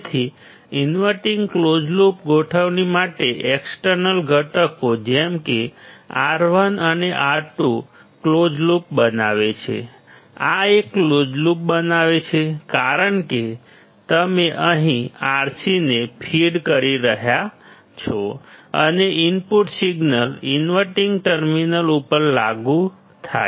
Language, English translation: Gujarati, So, for the inverting close loop configuration, external components such as R1 and R2 form a close loop; This forms a closed loop because you are feeding Rc here and the input signal is applied from the inverting terminal